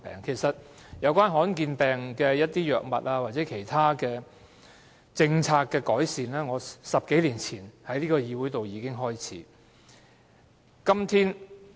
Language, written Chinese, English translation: Cantonese, 其實，對於罕見疾病的藥物或其他政策改善，我10多年前已在這個議會開始爭取。, In fact I started striving for the drugs and other improvement initiatives for rare diseases in this Council a dozen of years ago